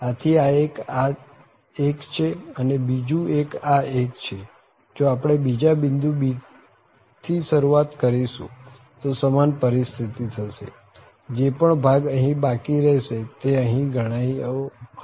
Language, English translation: Gujarati, So, one this one and the other one is this one, so and either we start from other point this b the same situation whatever we have left here for instance its covered here